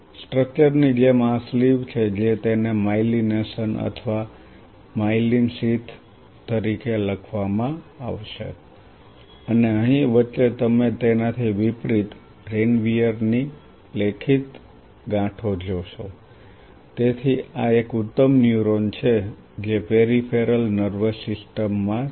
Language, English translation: Gujarati, This sleeve like a structure is what it will be written as myelination or myelin sheath and in between out here you will see written nodes of Ranvier on the contrary, so this is a classic neuron which is in the peripheral nervous system